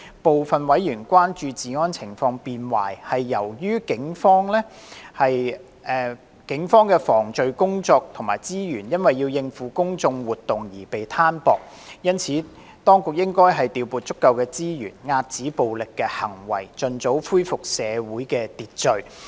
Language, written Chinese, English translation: Cantonese, 部分委員關注治安情況變壞，是由於警方的防罪工作及資源因要應付公眾活動而被攤薄。因此，當局應調撥足夠資源，遏止暴力行為，盡早恢復社會秩序。, Some members were concerned that the deteriorating law and order situation was attributable to the thinning out of crime prevention work and resources of the Police to cope with public order events and it was therefore necessary for the Administration to deploy adequate resources for curbing violent acts and restoring social order as early as possible